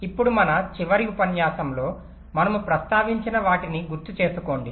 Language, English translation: Telugu, now recall what we mentioned during our last lecture